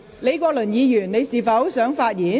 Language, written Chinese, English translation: Cantonese, 李國麟議員，你是否想發言？, Prof Joseph LEE do you wish to speak?